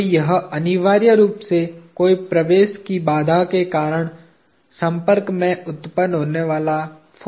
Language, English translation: Hindi, So, it is essentially a force arising at the contact due to the constraint of no penetration